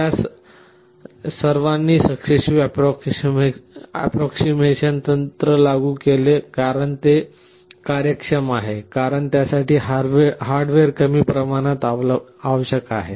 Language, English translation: Marathi, They all implemented successive approximation technique because it is efficient, because it requires less amount of hardware